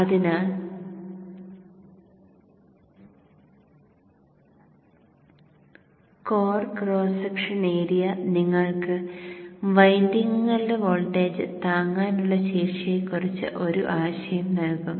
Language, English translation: Malayalam, So the core cross section area will give you an idea on the voltage withstanding capability of the windings